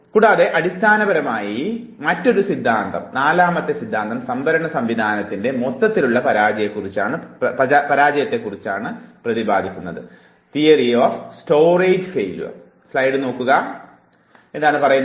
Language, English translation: Malayalam, And fourth theory is basically talking about the overall failure of the storage system